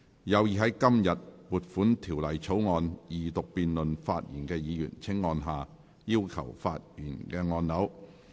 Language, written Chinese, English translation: Cantonese, 有意在今天就撥款條例草案二讀辯論發言的議員，請按下"要求發言"按鈕。, Members who wish to speak in the Second Reading debate on the Appropriation Bill today will please press the Request to speak button